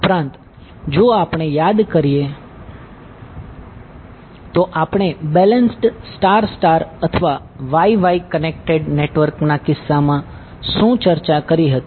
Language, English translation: Gujarati, Also, if we recall what we discussed in case of balance star star or Y Y connected network